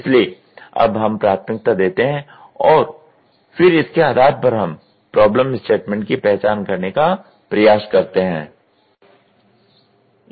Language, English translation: Hindi, So, now, we do the prioritisation and then based on this we try to identify the problem statement